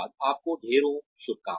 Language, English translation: Hindi, Wish you all the best